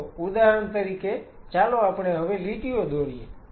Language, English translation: Gujarati, So, say for example, now let us draw the lines